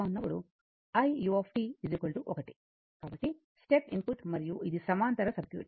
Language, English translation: Telugu, So, step input right and this is a parallel R C circuit